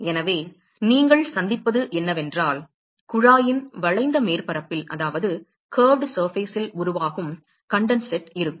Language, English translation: Tamil, So, what will you encounter is there will be condensate which will be formed along the curved surface of the tube